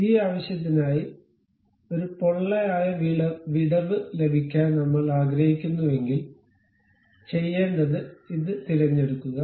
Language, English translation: Malayalam, So, for that purpose, if we would like to have a hollow gap, what I have to do, pick this one